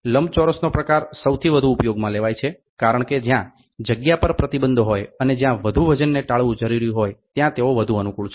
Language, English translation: Gujarati, Rectangle type is the most commonly used since they are more convenient where space is restricted and excess weight is to be avoided